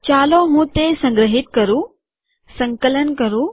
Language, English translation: Gujarati, Let me save it, Compile it